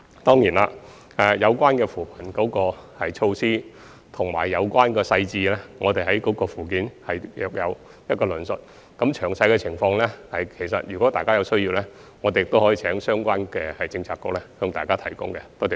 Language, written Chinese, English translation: Cantonese, 相關扶貧措施和所涉及的細節，我們已在附件有所論述。至於詳細的情況，如有需要，我們亦可請相關政策局提供予各議員。, Information has already been provided in the Annex on the relevant poverty alleviation measures as well as the details involved and if necessary we will ask the Policy Bureaux concerned to provide detailed information to Members